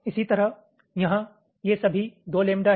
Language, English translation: Hindi, similarly, here these parts are all, let say, two lambda each